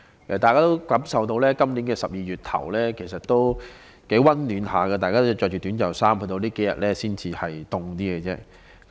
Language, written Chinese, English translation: Cantonese, 大家也感受到，今年12月初的天氣仍頗為溫暖，大家依然可以穿着短袖衣服，直至最近數天才稍為寒冷。, In early December this year the weather was still fairly warm and we could still wear short - sleeved clothes . The weather has only turned slightly cooler in recent days